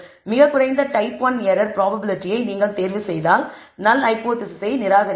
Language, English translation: Tamil, Very low type one error probability if you choose also you will reject the null hypothesis